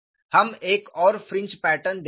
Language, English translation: Hindi, We would see another fringe pattern